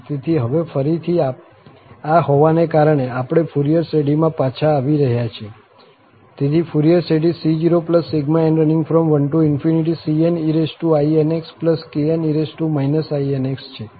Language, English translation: Gujarati, So, having this now again, we are getting back to the Fourier series, so, the Fourier series is c0, then cn and then kn here